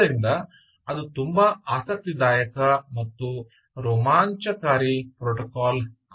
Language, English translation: Kannada, so that makes it very interesting and very exciting protocol